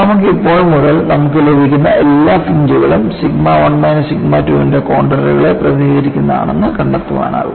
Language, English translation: Malayalam, You can, from now on find out whatever the fringes you get, representcontours of sigma 1 minus sigma 2